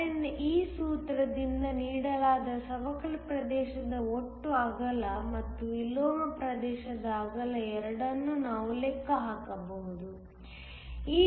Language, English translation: Kannada, So, We can calculate both the total width of the depletion region which is given by this formula and the width of the inversion region